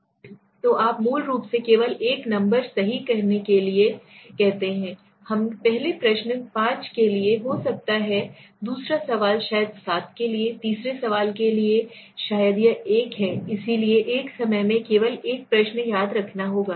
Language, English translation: Hindi, So you basically say only you have to say a number right, may be for the first question 5, for the second question maybe 7, for the third question maybe it is 1 so it that is why it is you do not have to remember only one question at a time